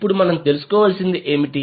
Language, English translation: Telugu, Now what we need to find out